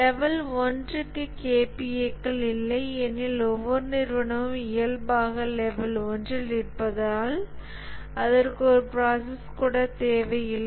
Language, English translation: Tamil, For the level 1, there are no KPS because every organization by default is at level 1, it doesn't need even a process